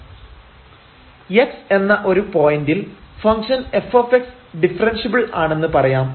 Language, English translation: Malayalam, So, suppose the function y is equal to f x is differentiable